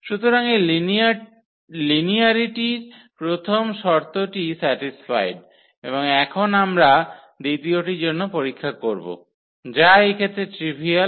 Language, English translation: Bengali, So, the first condition of this linearity is satisfied and now we will check for the second one which is also trivial in this case